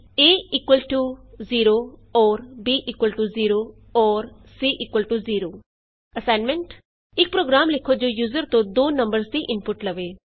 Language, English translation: Punjabi, (a == 0 || b == 0 || c == 0) Assignment Write a program that takes two numbers as input from the user